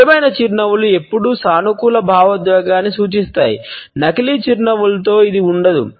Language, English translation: Telugu, Genuine smiles always necessarily represent a positive emotion and fake smiles do not